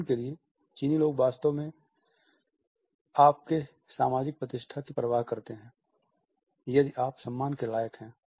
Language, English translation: Hindi, For example, Chinese people really care for status this is what determines if you deserve respect